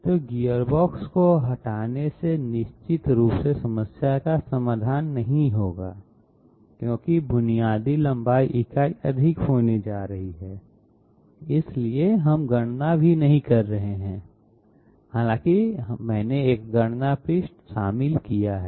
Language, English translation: Hindi, So removing gearbox will definitely not solve the problem because basic length unit is going to become higher, so we are not even doing the calculation though I have included one calculation page